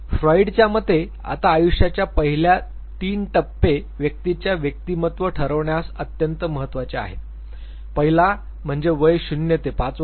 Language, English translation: Marathi, Now, the first three stages of life, according to Freud are extremely crucial for now deciding the persona of the individual, means 0 to 5 years of age